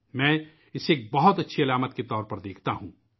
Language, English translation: Urdu, I view this as a very good indicator